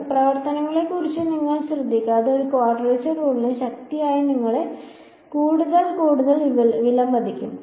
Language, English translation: Malayalam, So, more and more you will appreciate the power of a quadrature rule you dont care about the function